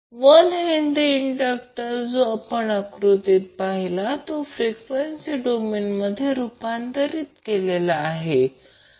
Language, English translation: Marathi, So what will happen, the 1 henry inductor which we see in the figure will be converted into the frequency domain